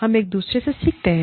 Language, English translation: Hindi, We learn, from each other